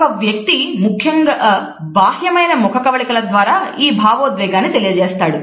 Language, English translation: Telugu, The main way a person communicates this emotion is through external expressions of the face